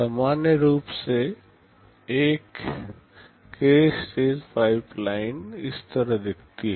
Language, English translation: Hindi, A k stage pipeline in general looks like this